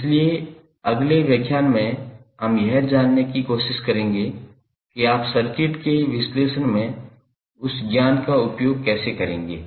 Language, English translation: Hindi, So, in next lecture we will try to find out, how you will utilize this knowledge in analyzing the circuit